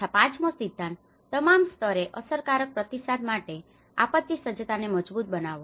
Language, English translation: Gujarati, So, the fifth principle, strengthen disaster preparedness for effective response at all levels